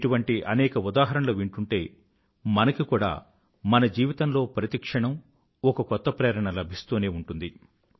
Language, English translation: Telugu, When we come to know of such examples, we too feel inspired every moment of our life